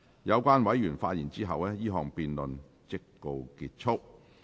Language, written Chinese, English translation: Cantonese, 有關委員發言後，這項辯論即告結束。, This debate will come to a close after the Members have spoken